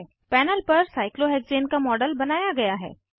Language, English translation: Hindi, A model of cyclohexane is created on the panel